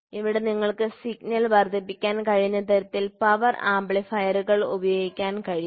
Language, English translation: Malayalam, So, power amplifiers can be used such that you can amplify the signal